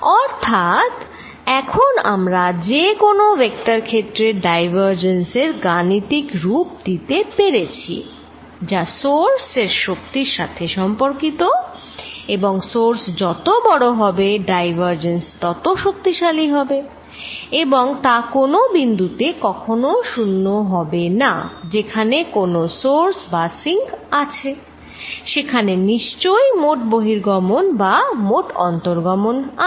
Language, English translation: Bengali, So, now we have given a mathematical definition to any divergence of any vector field, it is a related to the strength of the source and larger the source more powerful it is more the divergence and it is going to be non zero only at points, where there is a source or a sink, because then there is a net out flow or net inflow